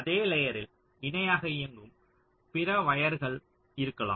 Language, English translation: Tamil, so there can be other wires running in parallel on the same layer